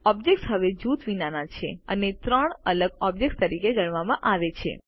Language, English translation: Gujarati, The objects are now ungrouped and are treated as three separate objects